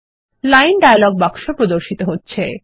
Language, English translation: Bengali, The Line dialog box is displayed